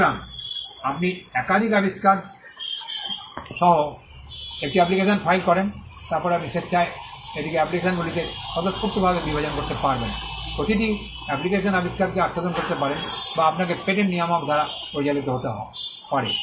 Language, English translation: Bengali, So, you file an application with more than one invention, then you can voluntarily divide it into the respective in applications, covering each application covering an invention, or you may be directed by the patent controller